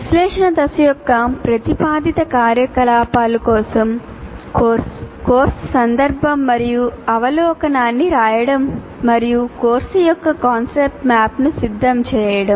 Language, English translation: Telugu, The proposed activities of the analysis phase include writing the course context and overview and preparing the concept map of the course